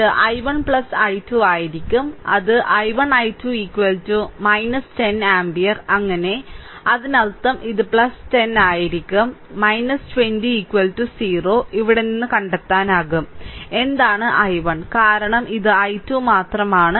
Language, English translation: Malayalam, So, it will be i 1 plus 12 and it is i 1 and i 2 is equal to minus 10 ampere so; that means, it will be plus 10, right minus 20 is equal to 0, from here, you can find out; what is i 1 because this is only this is 12, right